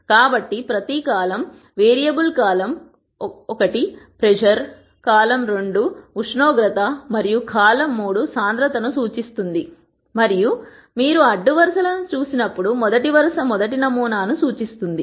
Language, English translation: Telugu, So, each column represents a variable column 1 pressure, column 2 temperature and column 3 density and when you look at the rows; the first row represents the first sample